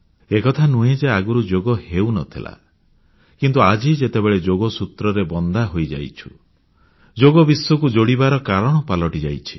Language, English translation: Odia, It isn't as if Yoga didn't exist before, but now the threads of Yoga have bound everyone together, and have become the means to unite the world